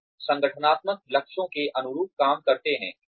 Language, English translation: Hindi, And work, in line with the, organizational goals